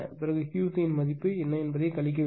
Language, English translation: Tamil, Then you have to subtract that one what will the value of Q c right